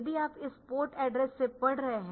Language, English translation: Hindi, So, if you are reading from this port address